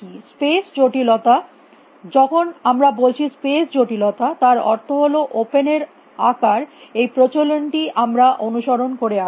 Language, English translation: Bengali, Space complexity, when he says space complexity we mean the size of open that is the convention we have been following